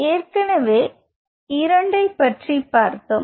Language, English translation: Tamil, So, we have talked about two